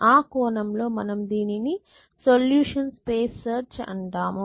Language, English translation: Telugu, Essentially, so in that sense we call is a solution space search